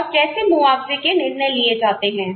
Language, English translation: Hindi, And, how compensation decisions are made